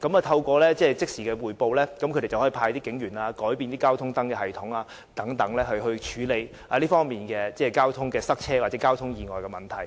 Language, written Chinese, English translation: Cantonese, 透過即時匯報，交通部可以以派出警員、改變交通燈系統的運作等方式，處理交通擠塞或交通意外的問題。, Through instant reporting the transport authorities can deploy police officers or change the modes of for instance the traffic light system to deal with traffic congestion or accidents